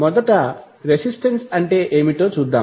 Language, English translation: Telugu, So, let see what see what is resistance